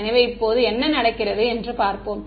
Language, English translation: Tamil, So, now, let us let us see what happens